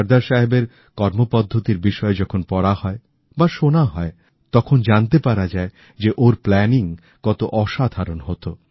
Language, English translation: Bengali, When we read and hear about Sardar Saheb's style of working, we come to know of the sheer magnitude of the meticulousness in his planning